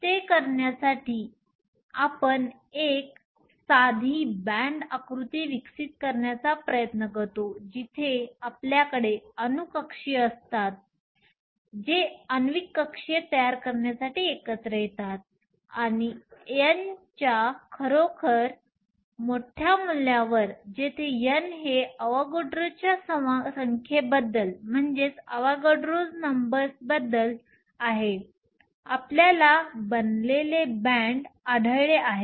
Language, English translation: Marathi, In order to do that, we try to develop a simple band diagram where we have atomic orbitals that come together to form molecular orbitals and at really large values of n, where n is about Avogadro’s number, we found that these form bands